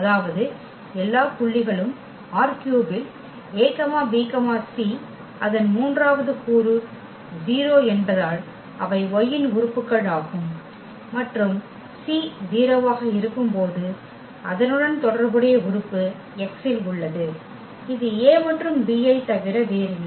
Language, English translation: Tamil, That means, all the points is a b c in R 3 whose the third component is 0 because they are the candidates of the Y and corresponding to when the c is 0 the corresponding element is also there in X and that is nothing but this a and b